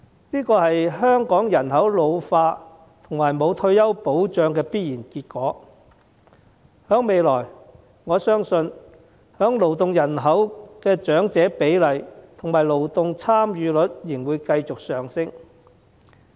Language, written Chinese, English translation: Cantonese, 這是香港人口老化和欠缺退休保障的必然結果，我相信未來勞動人口的長者比例和勞動參與率仍會繼續上升。, This is an ineluctable result in the face of an ageing population and a lack of retirement protection in Hong Kong and I believe that the proportion of elderly persons in the labour force and their labour force participation rate will continue to rise in the future